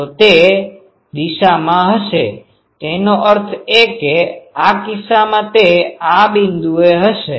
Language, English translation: Gujarati, So, it will be in that direction; that means, in this case it will be in this point